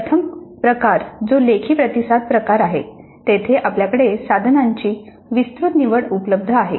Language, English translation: Marathi, The first type where it is a written response type, again you have wide choice of items possible